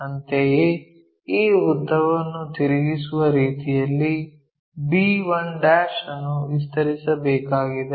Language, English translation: Kannada, Similarly, we have to extend b 1' in such a way that this length will be rotated